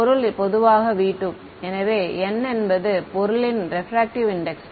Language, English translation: Tamil, The object typically v 2; so, n is the refractive index of object right ok